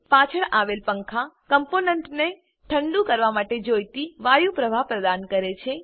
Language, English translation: Gujarati, Fans at the back provide the air flow required to cool the components